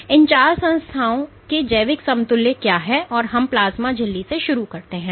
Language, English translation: Hindi, So, what are the biological equivalents of these four entities that we start from the plasma membrane